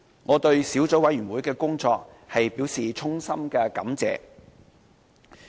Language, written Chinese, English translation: Cantonese, 我對小組委員會的工作表示衷心感謝。, I would like to thank the Subcommittee for its effort in this regard